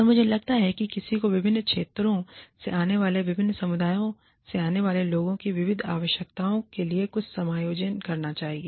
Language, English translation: Hindi, And, i think, one should make some adjustment, to the diverse needs of people, coming from different communities, coming from different regions